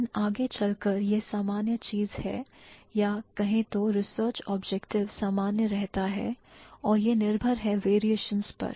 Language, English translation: Hindi, But eventually it's the same thing or the research objective is same and it boils down to the variations